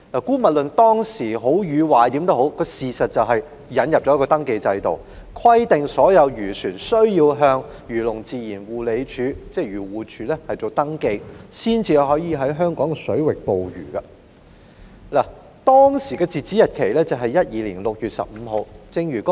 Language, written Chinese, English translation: Cantonese, 姑勿論這制度是好是壞，事實就是引入了登記制度，規定所有漁船須向漁農自然護理署登記，方可在香港水域捕魚，當時的截止日期是2012年6月15日。, Let us put aside the argument over whether the scheme is good or not . The fact was that a registration scheme was indeed introduced under which all fishing vessels must be registered with the Agriculture Fisheries and Conservation Department AFCD for conducting fishing operations in Hong Kong waters . The then cut - off date was 15 June 2012